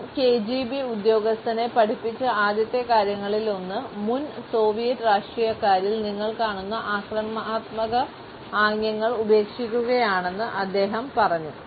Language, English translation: Malayalam, He has told the mask out times one of the first things he taught the former KGB officer was just quit using the type of the aggressive gestures you will see in former Soviet politicians